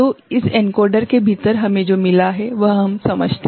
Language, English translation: Hindi, So, within this encoder what we have got we understand